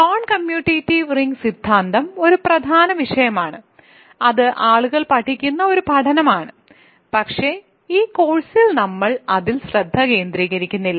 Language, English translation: Malayalam, So, the non commutative ring theory is an important subject that is one studies people study, but it is not the focus for us in this course